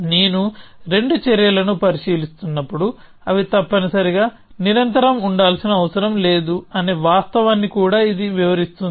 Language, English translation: Telugu, So, this also illustrates a fact that when I am considering two actions, they do not necessarily have to be continuous essentially